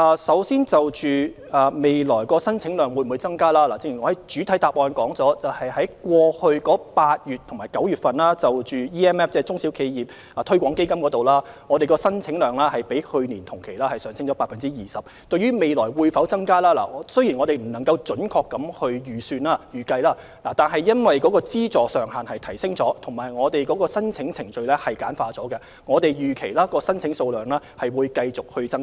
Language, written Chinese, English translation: Cantonese, 首先，關於未來的申請宗數會否增加，正如我在主體答覆中提到，今年8月及9月，中小企業市場推廣基金的申請宗數比去年同期上升了 20%， 雖然我們現時未能準確預計，但因為資助上限已有所提升，而申請程序也較以往簡單，我們預期申請宗數會繼續增加。, First of all regarding whether the number of applications will increase as I said in the main reply the number of applications for EMF received in August and September this year represents an increase of 20 % as compared to the same period last year . Although we do not have an accurate estimate at present we expect the number of applications will continue to increase because the funding ceiling has been raised and the application procedures are simpler than before